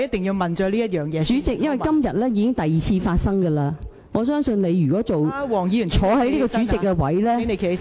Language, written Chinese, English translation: Cantonese, 代理主席，因為這已是今天第二次發生的了，我相信如果你出任主席這位置......, Deputy President it is because this is the second time that this happens today . I believe that as the President